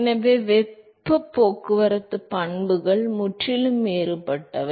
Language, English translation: Tamil, Therefore, the heat transport properties are completely different